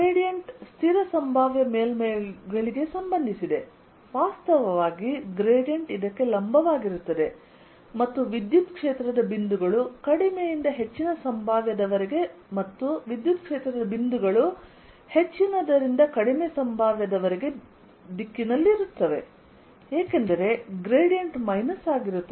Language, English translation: Kannada, gradient is related to constant potential surfaces, in fact it's perpendicular to this, and electric field points in the direction from lower to higher potential and electric field points from higher to lower potential because minus the gradient